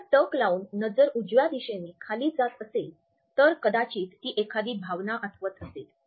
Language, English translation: Marathi, If the gaze is down towards a right hand side the person might be recalling a feeling